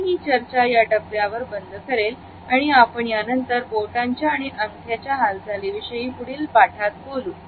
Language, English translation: Marathi, I would close this discussion at this point, in our next module we will take up the movement of the fingers as well as thumb